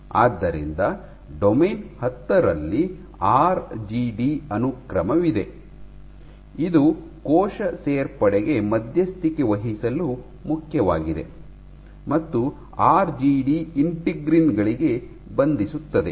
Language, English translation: Kannada, So, in 10 you have the RGD sequence which is important for mediating cell addition and RGD binds to integrins